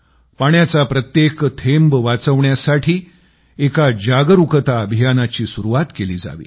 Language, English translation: Marathi, Let us start an awareness campaign to save even a single drop of water